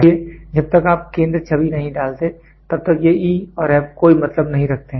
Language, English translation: Hindi, So, until you if you do not put the centre image if this image is not there, so, this E and F does not make any sense